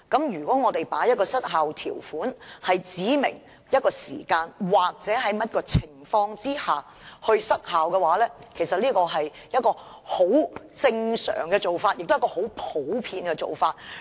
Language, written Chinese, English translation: Cantonese, 如果加入有關失效日期的條文，指明在某個時間或某種情況下失效，其實是一種既正常亦普遍的做法。, The inclusion of a clause that introduces an expiry date or specifies that an ordinance will expire at a certain time or under certain circumstances is actually a normal and common practice